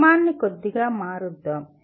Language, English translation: Telugu, Let us change the sequence a little bit